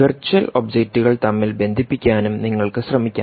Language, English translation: Malayalam, you could actually be even trying to connect virtual objects, right